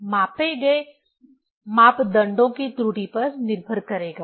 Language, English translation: Hindi, It will depend on the error of the measured parameters